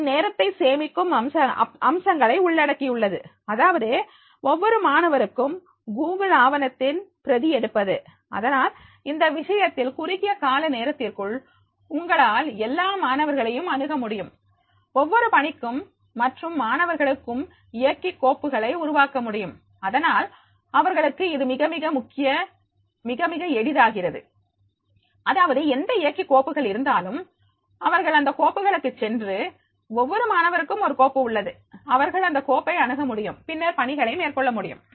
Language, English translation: Tamil, It includes the time saving features that is making a copy of a Google document for the each student and therefore in that case within short period of time you can make the access to the all the students, creates drive folders for each assignment and the student and therefore it becomes very, very easy for them that is the whatever the drive folders are there, so they will go to the folder, for each student there is a folder, they can access to that folder and then they can make the assignments